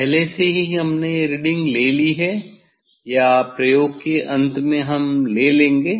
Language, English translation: Hindi, that already we have taken this reading or at the end of the experiment we will take